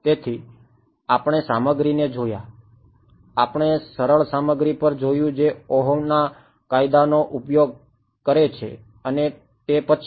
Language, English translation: Gujarati, So, we looked at materials, we looked at simple materials which used Ohm’s law right and after that